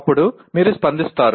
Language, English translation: Telugu, Then you react